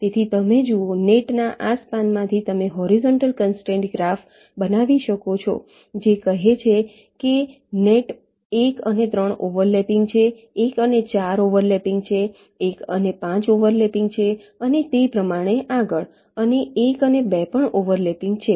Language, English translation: Gujarati, so you see, from these span of the nets you can create the horizontal constraint graph which will tell net one and three are over lapping, one and four are over lapping, one and five are over lapping, and so on